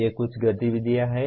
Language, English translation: Hindi, These are some activities